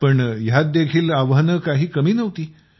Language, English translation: Marathi, But there were no less challenges in that too